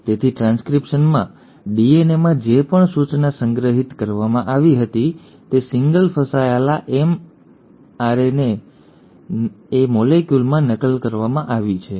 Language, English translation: Gujarati, So in transcription, whatever instruction which was stored in the DNA has been copied into a single stranded mRNA molecule